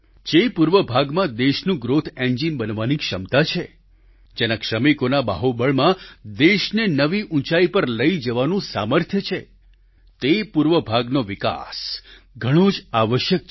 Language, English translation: Gujarati, The very region which possesses the capacity to be the country's growth engine, whose workforce possesses the capability and the might to take the country to greater heights…the eastern region needs development